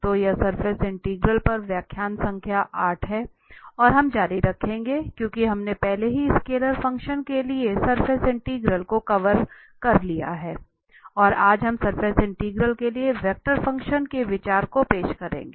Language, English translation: Hindi, So this is lecture number 8 on surface integrals and we will continue, because we have already covered the surface integral for scalar functions and today we will introduce the idea of vector functions for surface integrals